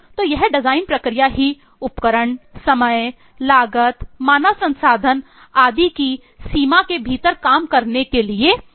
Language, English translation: Hindi, So it design process itself has to work within the limitation the constraints of the of of the tools eh time, cost, human resource and so on